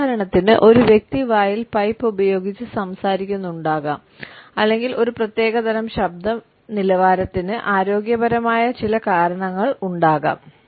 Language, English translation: Malayalam, For example, an individual might be speaking with a pipe in mouth or there may be certain health reasons for a particular type of voice quality